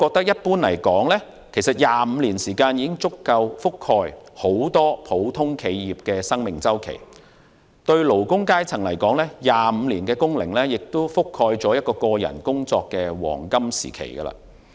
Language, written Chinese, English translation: Cantonese, 一般而言 ，25 年時間已足夠覆蓋很多普通企業的生命周期；對勞工階層而言 ，25 年工齡亦覆蓋了個人工作的黃金時期。, Generally speaking a 25 - year period would be enough to cover the normal life cycle of many businesses . For a worker 25 years means the prime of his working life